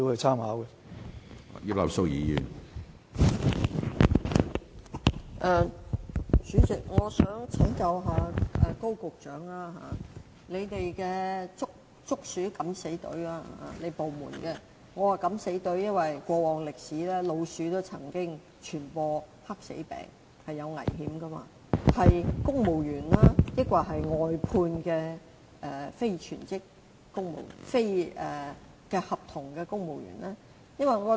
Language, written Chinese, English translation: Cantonese, 主席，我想請教高局長，他部門的"捉鼠敢死隊"——我之所以說"敢死隊"，是因為根據過往歷史，老鼠曾經傳播黑死病，具危險性——隊員是公務員，還是外判的非公務員僱員？, President may I ask Secretary Dr KO whether the members of the anti - rodent death squad of his department are civil servants or outsourced non - civil service staff? . I say death squad as it was recorded in history that rodents once caused the spread of the Black Death